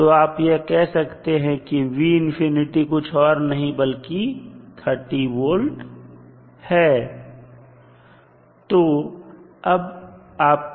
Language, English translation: Hindi, You can simply say that v infinity is nothing but 30 volts